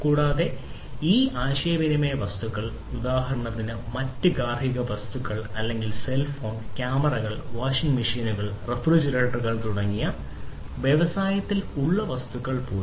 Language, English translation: Malayalam, And different objects these communication objects for example or different other household objects or even the objects that are in the industries like cell phone, cameras, etcetera you know washing machines, refrigerators